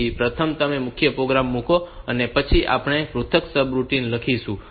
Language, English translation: Gujarati, So, first you put the main program then we write the individuals subroutine